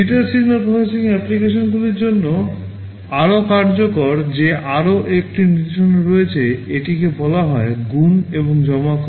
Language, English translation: Bengali, There is another instruction that is very much useful for digital signal processing applications, this is called multiply and accumulate